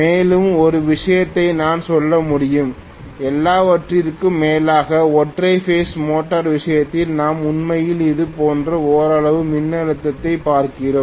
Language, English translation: Tamil, And one more thing I should be able to say is after all, in the case of single phase motor we are looking at actually voltage somewhat like this